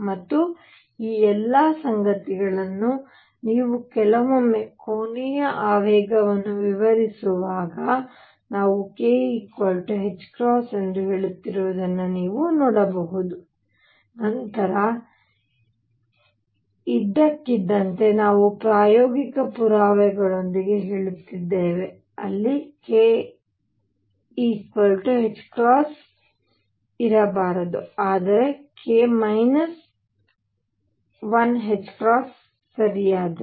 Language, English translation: Kannada, And all these things you can see that sometimes when we are describing angular momentum we are saying k equals h cross then suddenly we are saying with experimental evidence, there should be not k h cross, but k minus 1 h cross right